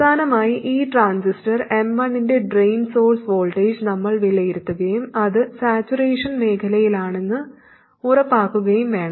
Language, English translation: Malayalam, Finally we have to evaluate the drain source voltage of this transistor M1 and make sure that it is indeed in saturation region